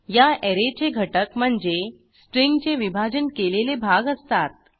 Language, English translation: Marathi, The elements of this Array are the divided portions of the string